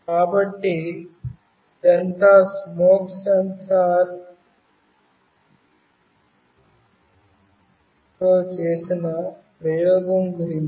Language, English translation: Telugu, So, this is all about the experiment with the smoke sensor